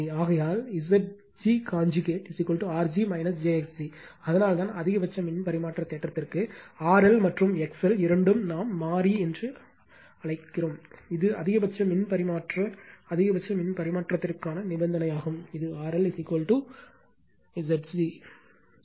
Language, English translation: Tamil, Therefore, Z g conjugate is equal to R g minus j x g right that is why for maximum power transfer theorem, when both R L and your X L your both are your what we call variable, then this is the condition for maximum power transfer maximum power transfer that Z L is equal to Z g conjugate right